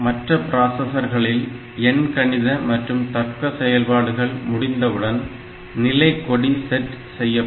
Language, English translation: Tamil, So, in other processors you know that whenever some arithmetic operation arithmetic logic operation is done the status flags will be set